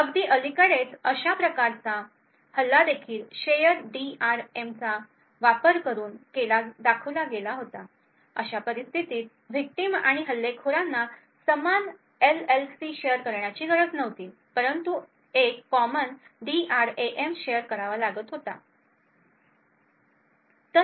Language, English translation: Marathi, Very recently a very similar type of attack was also showed using a shared DRAM in such a case the victim and the attacker do not have to share the same LLC but have to share a common DRAM